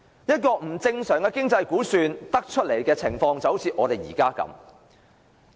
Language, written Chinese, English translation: Cantonese, 不正常的經濟估算，導致我們目前出現的情況。, Abnormal economic estimates have led to our current situation